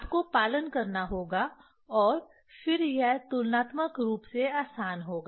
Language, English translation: Hindi, One has to follow and then it will be comparatively easier